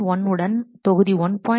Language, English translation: Tamil, 1 to module 1